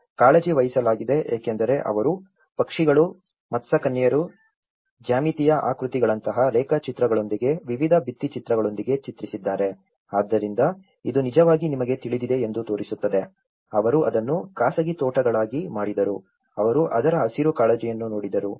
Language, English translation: Kannada, So, the fronts have been taken care of because they have painted with various murals with drawings like birds, mermaids, geometric figures, so this actually shows you know, they made them private gardens into it, they looked into the green concerns of it